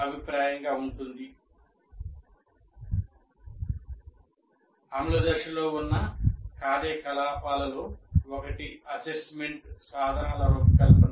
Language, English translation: Telugu, Now come in the implement phase, one of the activities is designing assessment instruments